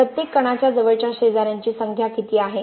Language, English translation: Marathi, If I take one particle how many nearest neighbors it has